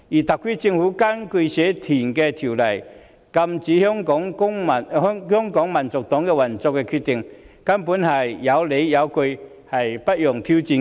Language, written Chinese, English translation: Cantonese, 特區政府根據《社團條例》禁止香港民族黨運作的決定，根本是有理有據，不容挑戰的。, The decision of the SAR Government to prohibit the operation of the Hong Kong National Party under the Societies Ordinance is reasonable and justified and cannot be challenged